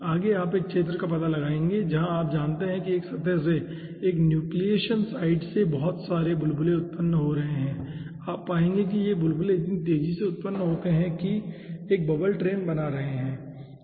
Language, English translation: Hindi, next, you will be finding out a zone where you know lots of bubbles are being generated from a surface, from a nucleation side, and you will find out those bubbles are generated so fast that they are forming a bubble train